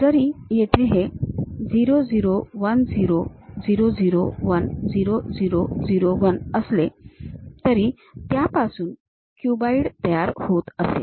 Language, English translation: Marathi, Though here this 0 0 1 0 0 0 1 0 0 0 1, it may be forming a cuboid